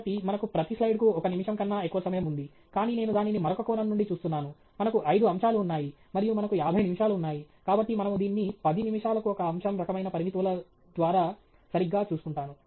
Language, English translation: Telugu, So, we have more than a minute per slide, but I am also looking at it from other perspective, that we have five topics, and we have fifty minutes, so we are keeping track of that 10 minutes by topic kind of constraints